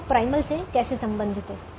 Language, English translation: Hindi, how is it related to the primal